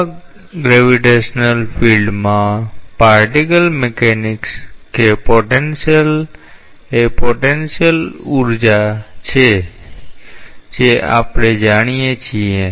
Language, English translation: Gujarati, In such, particle mechanics in a gravitational field that potential is the potential energy that we know